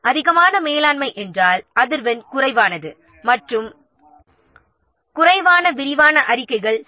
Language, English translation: Tamil, So higher is the management, lesser is the frequency and lesser is also the detailed reports